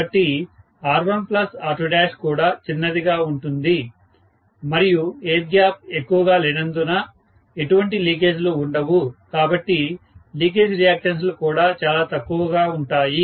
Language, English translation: Telugu, So, R1 plus R2 dash is also going to be small and there is hardly any leakage because there is not much of air gap, so, the leakage reactance’s are also going to be very very small